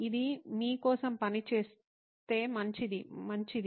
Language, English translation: Telugu, If it works for you, fine, good